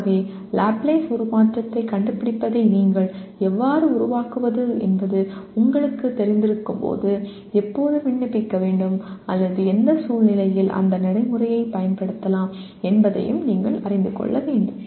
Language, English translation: Tamil, So while you know how to create what do you call find a Laplace transform, you should also know when to apply or in what situation that procedure can be applied